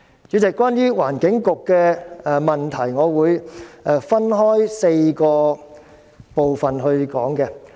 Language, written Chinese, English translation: Cantonese, 主席，關於環境局的問題，我會分開4個部分說。, Chairman regarding the Environment Bureau I will divide my speech into four parts